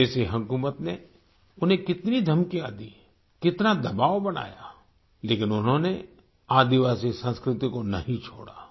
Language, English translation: Hindi, The foreign rule subjected him to countless threats and applied immense pressure, but he did not relinquish the tribal culture